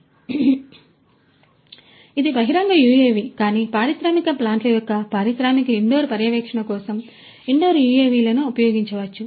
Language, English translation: Telugu, So, you know this is an outdoor UAV, but for industrial you know indoor monitoring of industrial plants etc